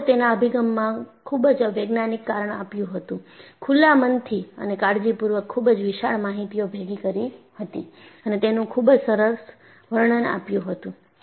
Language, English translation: Gujarati, So, the board was very scientific in its approach, open minded and carefully collected voluminous data and beautifully characterized it